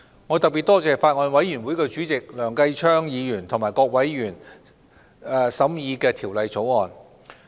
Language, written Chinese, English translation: Cantonese, 我特別多謝法案委員會主席梁繼昌議員和各委員審議《條例草案》。, I would like to extend thanks in particular to Mr Kenneth LEUNG Chairman of the Bills Committee and members for scrutinizing the Bill